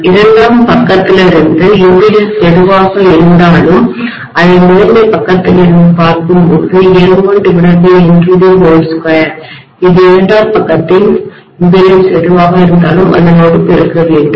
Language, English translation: Tamil, You guys know that from the secondary side whatever is the impedance, I can look at it from the primary side as N1 by N2 the whole square multiplied by whatever is the impedance on the secondary side